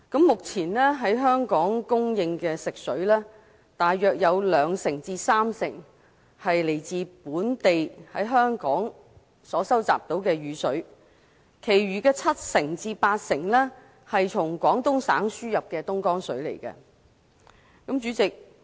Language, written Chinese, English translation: Cantonese, 目前供應本港的食水，大約兩至三成來自本地收集的雨水，其餘七至八成則是從廣東省輸入的東江水。, At present while rainwater collected locally accounts for about 20 % to 30 % of the supply of drinking water for Hong Kong the Dongjiang water imported from Guangdong Province accounts for the remaining 70 % to 80 %